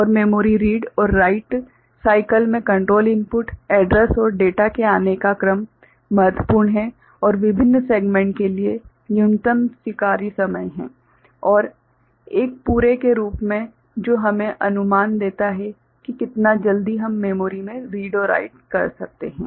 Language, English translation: Hindi, And in memory read and write cycle the sequence of appearance of control inputs, address and data are important and there are minimum allowable times for various segments and as a whole that gives us an estimate of how quickly we can read or write into memory ok